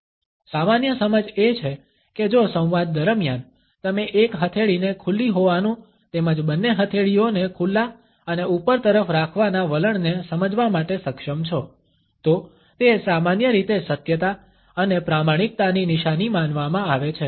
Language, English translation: Gujarati, The normal understanding is that if during the dialogue, you are able to perceive one palm as being open as well as both palms as being open and tending towards upward, it is normally considered to be a sign of truthfulness and honesty